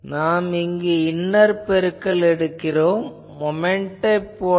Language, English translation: Tamil, So, here also we take a inner product it is something like the moment